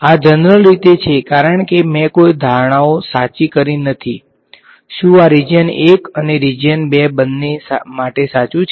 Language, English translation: Gujarati, This is in general because I have not made any assumptions right, whether this is this is too for both region 1 and region 2